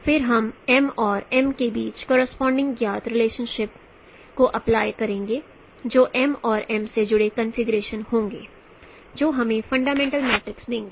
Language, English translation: Hindi, Then we will apply the corresponding relations between m and m which will or expressions involving m and m which will give us fundamental matrix